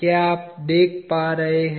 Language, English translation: Hindi, Are you able to see